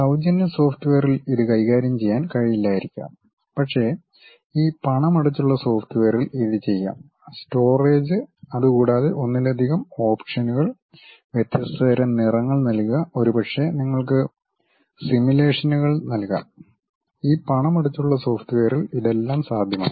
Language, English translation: Malayalam, Free software may not be in a position to handle it, but these paid softwares may work, in terms of storage, multiple options, giving different kind of colors, may be giving you simulations also, this extra information also this paid softwares provide